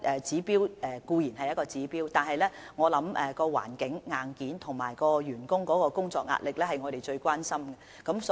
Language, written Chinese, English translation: Cantonese, 這固然是一項指標，但工作環境等硬件，以及員工工作壓力會是我們最關心的事情。, This certainly tells us a message . But hardware factors like the work environment are our prime concern and so is the work pressure on staff